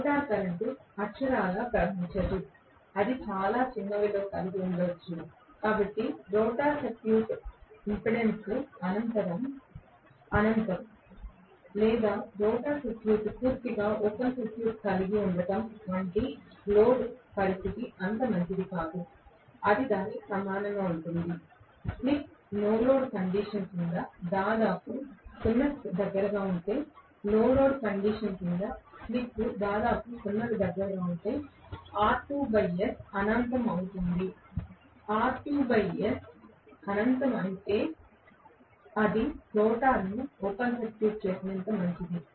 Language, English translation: Telugu, The rotor current will not literally flow it may have very very miniscule value, so the no load condition is as good as having the rotor circuit impedance to be infinity or the rotor circuit being open circuit completely, it will equivalent to that I will to say it is that, it is equivalent to that, slip is almost close to 0 under no load condition, if slip is almost close to 0 under no load condition R2 by S happens to be infinity, if R2 by S is infinity it is as good as open circuiting the rotor